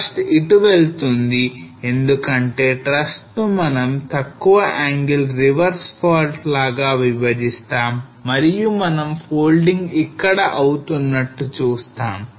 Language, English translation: Telugu, So thrust goes here because thrust we will classify as a low angle a reverse fault and we see the folding taking place over here